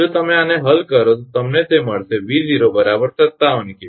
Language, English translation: Gujarati, If you solve this one you will get that V 0 is equal to 57 kV